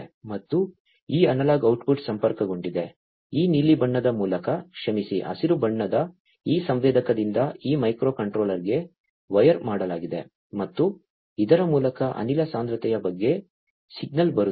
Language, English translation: Kannada, And this analog output is connected, through this blue colored where sorry the green colored wired from this sensor to this microcontroller and this is the one through which actually the signal about the gas concentration is coming